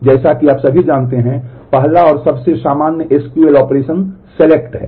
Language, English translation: Hindi, So, the first and most common SQL operation is selection as you all know